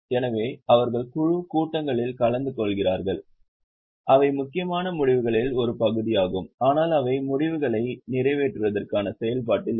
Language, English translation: Tamil, so they attend board meetings, they are part of important decisions but they are not in the process of execution of decisions